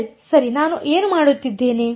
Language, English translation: Kannada, L right what am I doing